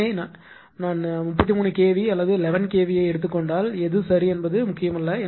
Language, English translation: Tamil, So, if I take 33 kv or 11 kv whatsoever right does not matter